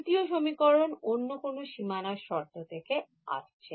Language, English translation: Bengali, Second equation becomes second equation would be coming from which boundary condition